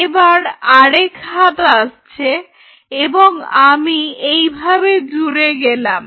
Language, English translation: Bengali, So, another arm comes and I couple like this